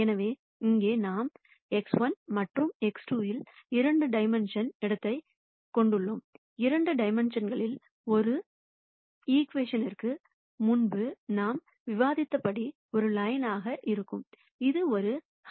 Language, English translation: Tamil, So, here we have a 2 dimensional space in X 1 and X 2 and as we have discussed before an equation in two dimensions would be a line which would be a hyperplane